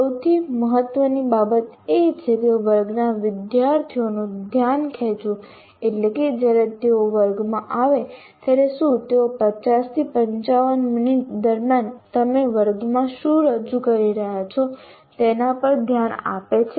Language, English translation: Gujarati, There is when they come to the class, are they, do they pay attention to what you are doing in the class during the 50, 55 minutes